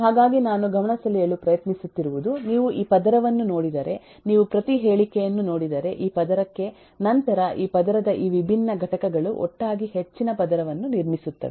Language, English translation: Kannada, so what am trying to point out is if you look into every say, if you look into this layer, if I loo, if I look into this layer, then these different components of this layer together buildup the higher layer in turn